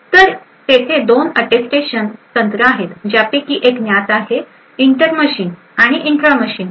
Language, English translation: Marathi, So, there are 2 Attestation techniques which are possible one is known is the inter machine and the intra machine